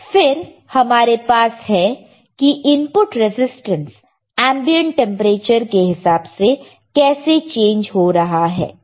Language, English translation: Hindi, We have then we have how the input resistance changes with the ambient temperature right